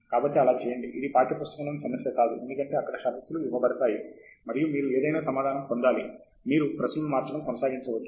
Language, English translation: Telugu, You are allowed to do that, this is not a text book problem, where conditions are given and you have to get the answer right; you can keep changing the questions